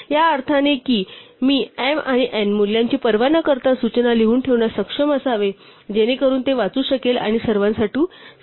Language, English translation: Marathi, In the sense that I should be able to write down the instruction regardless of the value m and n in such a way it can read it and comprehend it once and for all